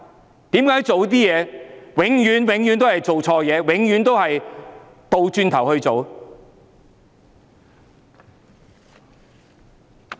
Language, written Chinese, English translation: Cantonese, 為何政府做的事情永遠都是錯的、永遠都是倒行逆施？, Why does the Government always do the wrong things? . Why does the Government always act perversely?